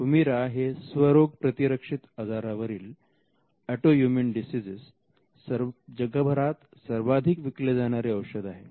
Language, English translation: Marathi, Humira is a biologic and it is the world’s largest selling drug which is used for autoimmune diseases